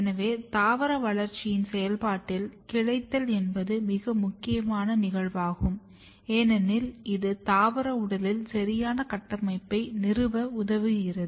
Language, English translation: Tamil, So, branching is very important or very critical events in the process of plant growth and development, because this helps in establishing a proper architecture in the plant body